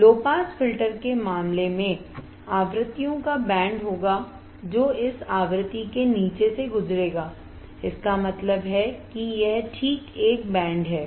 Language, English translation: Hindi, In case of low pass filter there will be band of frequencies that will pass below this frequency that means, this one right this band alright